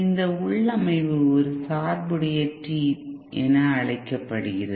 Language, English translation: Tamil, This configuration by the way is known as a biased T